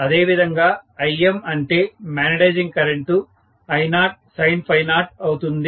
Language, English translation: Telugu, And I am going to have similarly Im or the magnetising current is going to be I0 sin phi 0